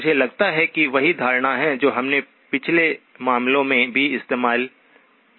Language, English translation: Hindi, I presume that is the same notation that we have used in the last case also